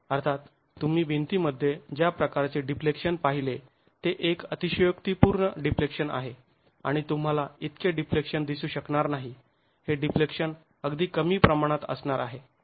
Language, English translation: Marathi, Of course the kind of deflection that you see in the wall is an exaggerated deflection and you are not going to be able to see so much of deflection